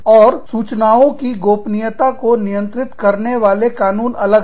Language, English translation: Hindi, And, the laws governing data privacy, are different